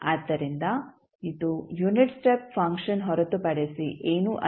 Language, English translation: Kannada, So, this is nothing but a unit step function